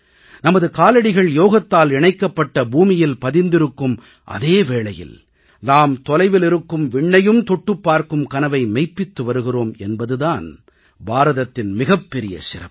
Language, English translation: Tamil, And this is the unique attribute of India, that whereas we have our feet firmly on the ground with Yoga, we have our dreams to soar beyond horizons to far away skies